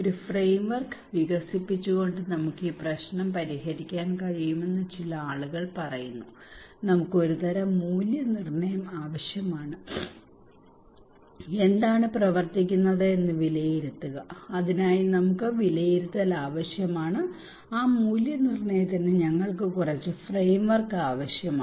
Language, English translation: Malayalam, Some people are saying that we can solve this problem by developing a framework we need to kind of evaluation, evaluation that what works and why not so for that we need evaluation, and for that evaluation we need some framework